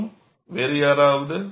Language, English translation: Tamil, And anyone else